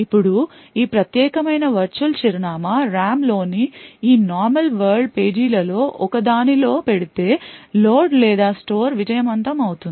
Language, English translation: Telugu, Now if this particular virtual address falls in one of this normal world pages in the RAM then the load or store will be successful